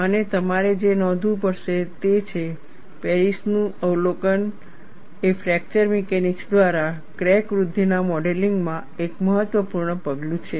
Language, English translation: Gujarati, And what you will have to note is, the observation of Paris is an important step in modeling crack growth by fracture mechanics